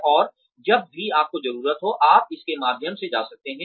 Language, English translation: Hindi, And, you can go through it, whenever you need to